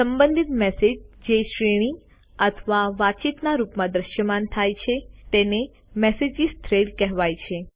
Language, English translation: Gujarati, Related messages that are displayed in a sequence or as a conversation are called Message Threads